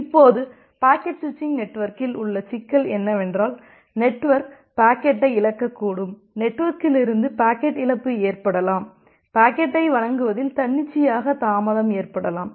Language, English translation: Tamil, Now, the problem in the packet switching network is that, the network can lose the packet, there can be packet loss from the network; there can be arbitrarily delay in delivering the packet